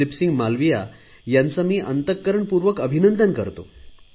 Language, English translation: Marathi, My heartfelt congratulations to Dileep Singh Malviya for his earnest efforts